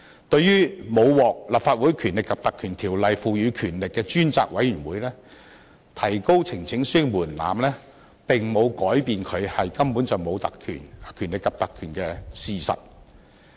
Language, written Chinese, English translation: Cantonese, 對於沒有獲《立法會條例》賦予權力的專責委員會，提高呈請書提交門檻並沒有改變它根本不具權力及特權的事實。, Regarding the select committee without the power conferred by the Ordinance increasing the threshold for presenting a petition does not change the fact that such kind of committee simply does not have any powers and privileges